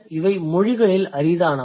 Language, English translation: Tamil, That is rare across languages